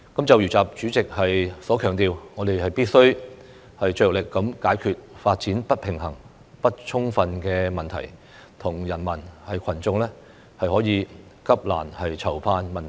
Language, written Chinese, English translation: Cantonese, 就如習主席所強調，我們必須"着力解決發展不平衡不充分問題和人民群眾急難愁盼問題"。, As President XI has stressed we have to make efforts to tackle the problem of uneven and inadequate development and address peoples most imminent concerns